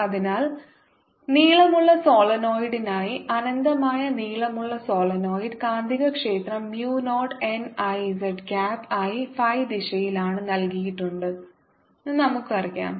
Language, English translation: Malayalam, so we very well know that for long solenoid, infinitely long solenoid, magnetic field is given as mu naught n i z cap that i is in phi direction, so mu naught n i z cap